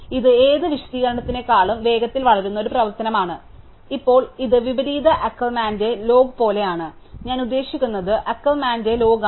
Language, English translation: Malayalam, So, it is a function which grows faster than any explanation, now this is like the log of the inverse Ackermann, I mean the log of Ackermann